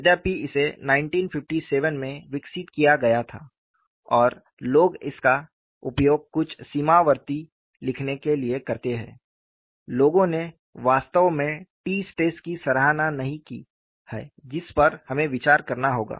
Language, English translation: Hindi, Though it was developed in 1957 and people use this for writing certain boundary collocation answers, people have not really appreciated the t stress; which we will have to reflect up on it